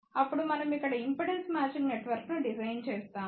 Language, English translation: Telugu, Then, we design impedance matching network over here